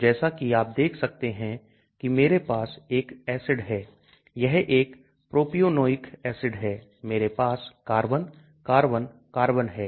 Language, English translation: Hindi, So as you can see I have an acid here this is a propionic acid so I have carbon, carbon, carbon